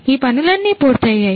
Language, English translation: Telugu, So, all of these things are done